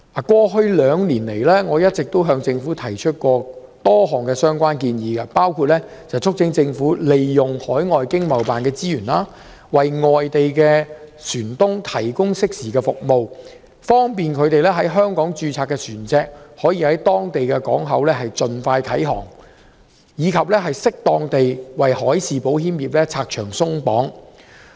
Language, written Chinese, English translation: Cantonese, 過去兩年來，我曾向政府提出多項相關建議，包括促請政府利用海外香港經濟貿易辦事處的資源，為外地船東提供適時服務，以便他們在香港註冊的船隻可以在當地港口盡快啟航，以及適當地為海事保險業拆牆鬆綁。, In the past two years I have made a number of proposals to the Government . I have urged the Government to use the resources of the overseas Hong Kong Economic and Trade Offices ETOs to provide overseas shipowners with timely services so that their ships which are registered in Hong Kong can set sail from overseas ports as soon as possible . Another suggestion is to suitably remove restrictions and regulations restraining the marine insurance industry